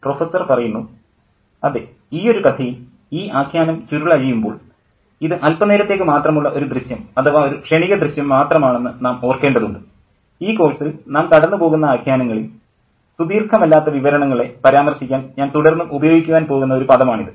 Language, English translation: Malayalam, In this particular story, when this narrative unfolds and we need to remember that this is just a glimpse, that's the term that I keep using to refer to the narratives, the short narratives that we read on this course